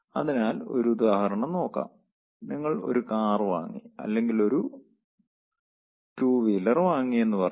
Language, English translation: Malayalam, lets say you have bought your car or you have bought your two wheeler